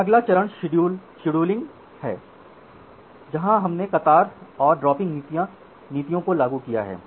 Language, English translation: Hindi, Then the next step is scheduling, scheduling where we applied the queuing and the dropping policies